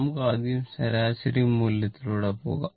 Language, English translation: Malayalam, So, let us first ah, go through the average value